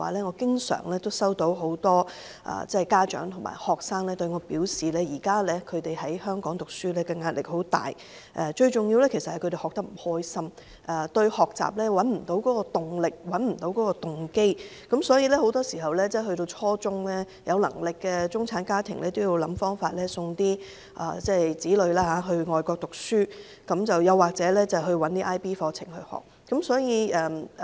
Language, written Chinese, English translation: Cantonese, 我想說的是，很多家長和學生經常向我表示，現時在香港讀書壓力很大，最重要的是學生學得不開心，找不到學習動力和動機，所以到了初中階段，有能力的中產家長都想辦法送子女到外國讀書或讓他們修讀 IB 課程。, What I wish to say is that many parents and students say to me fairly regularly that studying in Hong Kong is very stressful and that most importantly students are unhappy uninterested and unmotivated in learning . Therefore middle - class parents who can afford it would either find ways to send their children abroad for junior secondary education or enrol their children in IB programmes